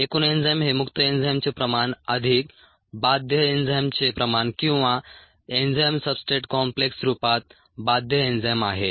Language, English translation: Marathi, the concentration of the total enzyme equals the concentration of the free enzyme plus the concentration of the bound enzyme or bound as enzyme substrate complex